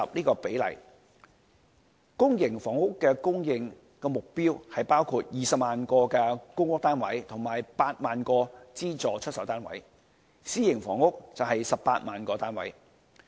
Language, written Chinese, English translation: Cantonese, 公營房屋的供應目標包括20萬個公屋單位及8萬個資助出售單位，私營房屋則為18萬個單位。, The public housing supply target is made up of 200 000 public rental housing and 80 000 subsidized sale flats while the private housing supply target stands at 180 000